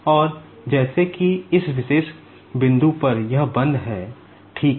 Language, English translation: Hindi, And, as if at this particular point, it is locked, ok